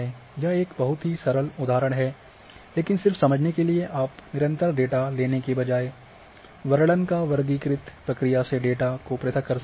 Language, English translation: Hindi, It is a very simplified example here, but just for understanding that instead of having continuous data you can describe and discretize the data by classifying